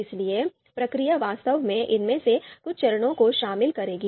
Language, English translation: Hindi, So, the process would actually involve some of these steps